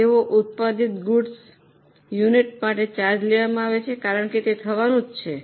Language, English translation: Gujarati, They are charged to good units produced because they are bound to happen